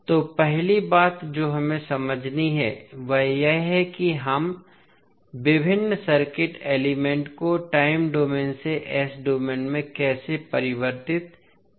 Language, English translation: Hindi, So, first thing which we have to understand is that how we can convert the various circuit elements from time domain into s domain